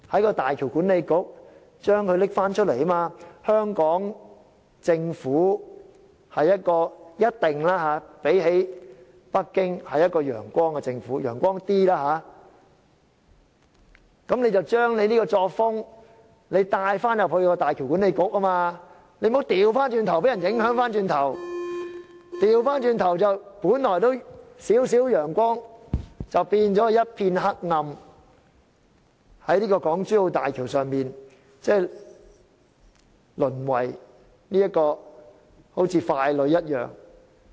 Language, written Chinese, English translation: Cantonese, 與北京政府相比，香港政府一定是較有"陽光"的政府，香港的官員應把這樣的作風帶到大橋管理局，而不要反過來受人影響，由本來仍有少許陽光變為一片黑暗，在港珠澳大橋項目中淪為傀儡。, Compared with the Beijing Government the Hong Kong Government must be a government operating in a more transparent manner . Officials from Hong Kong should bring such a practice to the HZMB Authority instead of being affected by them thus causing Hong Kong to lose the meagre transparency it still has and step into complete darkness and become stooges in the HZMB project